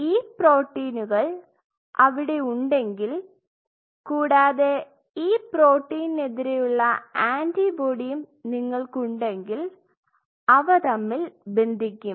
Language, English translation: Malayalam, These are the proteins if these proteins are present there and if you have an antibody against this protein